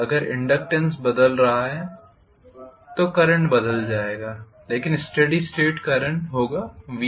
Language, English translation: Hindi, If inductance is changing the current will change but steady state current will be V by R, right